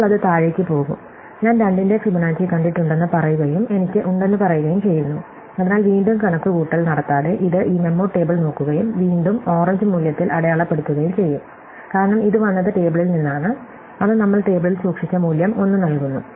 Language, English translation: Malayalam, So, now it will go down and say have I ever seen Fibonacci of 2 and say I have and therefore, without doing the re computation, it will look up this memo table and again we mark it as in orange value, because it came from the table, it returns the value 1 which we stored in the table